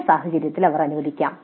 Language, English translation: Malayalam, In some cases they may allow